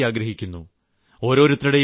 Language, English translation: Malayalam, We all want a good future for our children